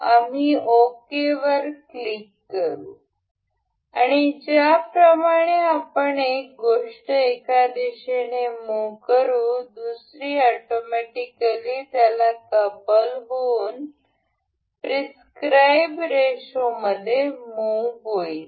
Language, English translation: Marathi, We will click ok and as we move this item to in one direction, the other one automatically couples to that and move in the prescribed ratio